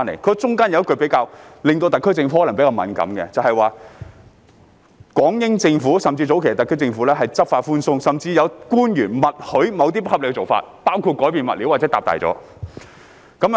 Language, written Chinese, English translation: Cantonese, 當中有一句可能令特區政府覺得比較敏感，就是"港英政府甚至早期的特區政府執法寬鬆，甚至有官員默許某些不合理的做法，包括改變物料或擴建"。, In the motion there is a sentence that the SAR Government may find rather sensitive . It reads that the British Hong Kong Government and even the early SAR Government were lax in enforcing the law with some officials even giving tacit consent to certain unreasonable practices including change of materials or extensions